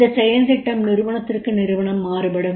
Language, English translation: Tamil, Now this action plan will vary from organization to organization